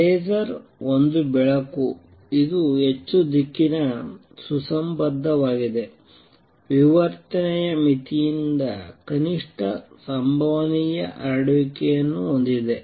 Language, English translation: Kannada, Laser is a light, which is highly directional, coherent, has minimum possible spread set by the diffraction limit